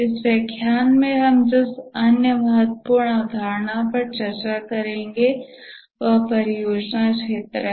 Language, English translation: Hindi, The other important concept that we will discuss in this lecture is the project scope